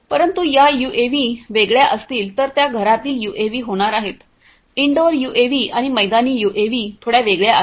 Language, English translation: Marathi, But, those UAVs are going to be different those are going to be the indoor UAVs; indoor UAVs and outdoor UAVs are little different